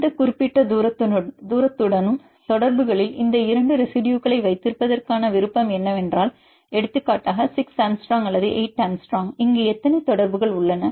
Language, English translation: Tamil, So, what the preference of having these two residues in contacts with the any specific distance say for example, 6 angstrom or 8 angstrom and here we have the same distance totally how many contacts